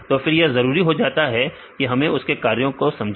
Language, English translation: Hindi, So, it is necessary to understand about the functions